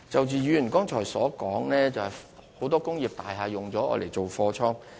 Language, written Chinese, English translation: Cantonese, 議員剛才提及很多工業大廈被用作貨倉。, The Member mentioned just now that many industrial buildings are used as godowns